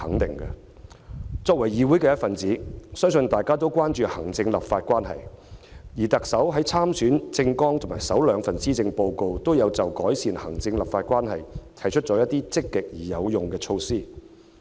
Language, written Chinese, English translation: Cantonese, 身為議會一分子，相信大家也關注行政立法關係，而特首在參選政綱及首兩份施政報告中，均有就改善行政立法關係提出一些積極而有用的措施。, As members of the Council I believe all Honourable colleagues are concerned about the executive - legislature relationship . And the Chief Executive has both in her Election Manifesto and her first two Policy Addresses proposed a number of positive and useful measures to improve the executive - legislature relationship